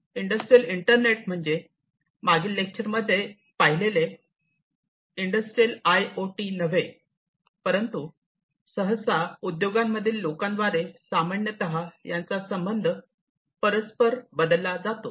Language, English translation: Marathi, And it is not exactly like the industrial IoT that we discussed in the previous lecture, but is often commonly used interchangeably by people in the industries